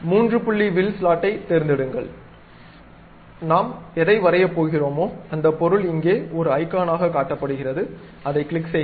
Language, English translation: Tamil, Pick three point arc slot, the object whatever the thing we are going to draw is shown here as icon, click that one